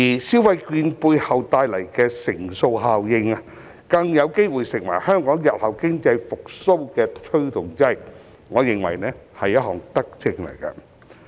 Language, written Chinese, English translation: Cantonese, 消費券背後帶來的乘數效應，更有機會成為香港日後經濟復蘇的推動劑，我認為這是一項德政。, The multiplier effect of the vouchers may possibly become a driving force for Hong Kongs future economic recovery . I consider this initiative to be a benevolent policy